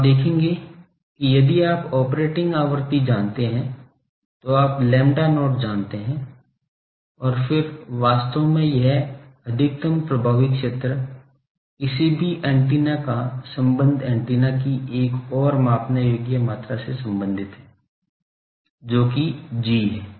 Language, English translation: Hindi, So, you see that if you know the operating frequency, you know lambda not and then actually this effective maximum effective area, of any antenna is related to another measurable quantity of the antenna that is G